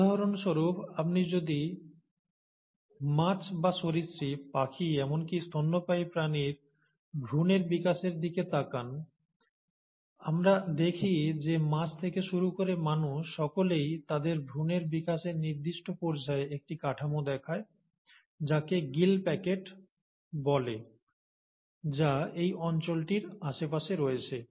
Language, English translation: Bengali, For example, if you were to look at the embryonic development of fishes or reptiles, birds, all the way up to mammals, we find that the embryonic stages, all of them, right from fishes till humans express at a certain stage in their embryonic development, a structure called as the gill pouch, which is around this area